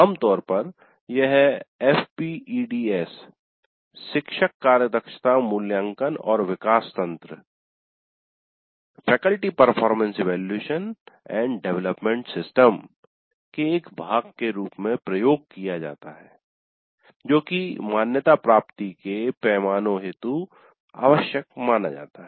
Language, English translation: Hindi, Usually this is conducted as a part of F PATS faculty performance evaluation and development system that is required by the accreditation